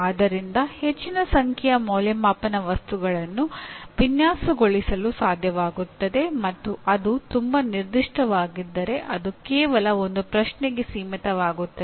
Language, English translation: Kannada, Should be able to design a large number of assessment items and if it is too specific you will end up stating one question